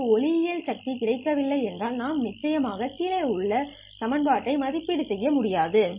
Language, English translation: Tamil, If we have not received an optical power we would of course not be able to evaluate this expression